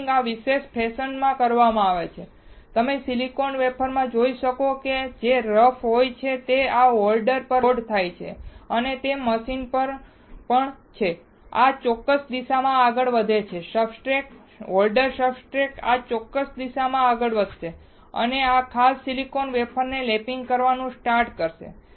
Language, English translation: Gujarati, Lapping is done in this particular fashion, you can see the silicon wafers which are rough, they are loaded onto this holder and that too machine is there, it moves in this particular direction, the substrate, the holder substrate will move in this particular direction, and will start lapping this particular silicon wafer